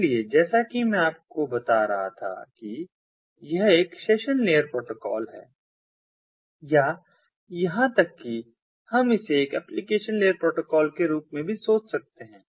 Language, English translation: Hindi, so, as i was telling you that its a session layer protocol, or even we can think of it as a, as an application layer protocol, so ah, so it